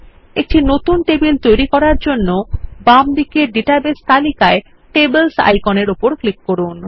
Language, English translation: Bengali, To create a new table, click the Tables icon in the Database list on the left